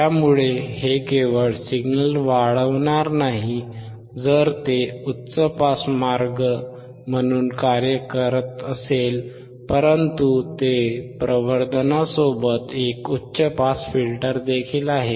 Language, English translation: Marathi, So, this will not only amplify the signal, if it also act as a high pass way, it is a high pass filter along with amplification